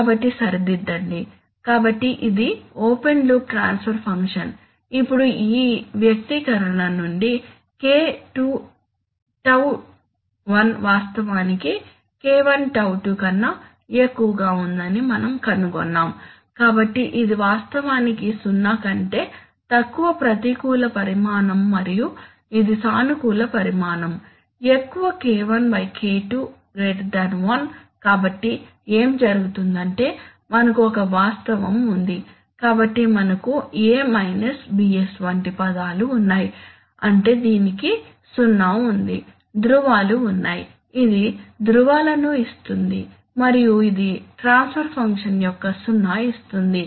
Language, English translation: Telugu, So, correct, so this is simply the open loop transfer function, now what we found that you see K2τ1 is actually greater than K1τ2 from this expression, so therefore, this is actually a negative quantity less than zero and this is a positive quantity greater than zero because K1/K2 is greater than one, so what happens is that we have a fact, so we have a, we have terms like, you know a minus bs which means that it has a zero, the poles are, this will give the poles and this will give the zero of the transfer function